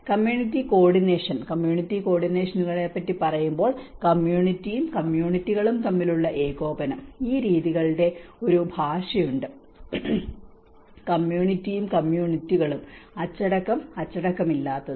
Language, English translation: Malayalam, When we say about community coordination, the coordination between community and communities, there is a dialect of these aspects, community and communities, discipline, undisciplined